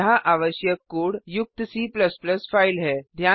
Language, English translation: Hindi, Here is the C++ file with the necessary code